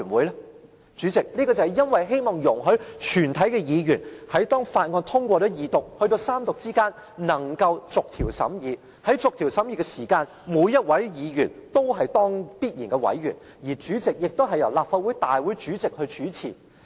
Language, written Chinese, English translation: Cantonese, 代理主席，這是因為希望容許全體議員在法案通過二讀至三讀之間能夠逐項審議，而在逐項審議時，每一位議員都是必然委員，而主席亦由立法會大會主席主持。, Deputy President it is because we hope that when we go through the Second Reading of Bills and enter the stage of clause - by - clause examination in preparation for the Third Reading procedure all Members will join the discussion as ex - officio Members and the President will become Chairman of a committee of the whole Council